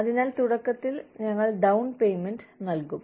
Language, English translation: Malayalam, So, initially, we will give the down payment